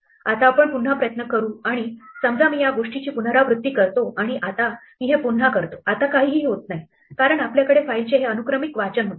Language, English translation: Marathi, Now, let us try and do this again, supposing I repeat this thing and now I do this again, now nothing happens the reason nothing happens is because we had this sequential reading of the file